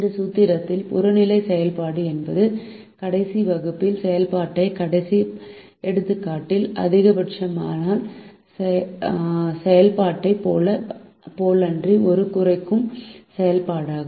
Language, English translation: Tamil, in this formulation the objective function is a minimization function, unlike the maximization function in the last example that was done in the last class